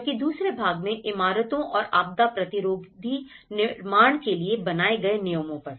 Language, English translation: Hindi, Whereas, in the second part regulations for buildings and disaster resistant construction